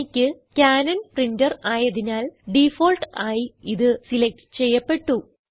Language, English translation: Malayalam, Since, I have a Canon Printer, here in this list, it is selected by default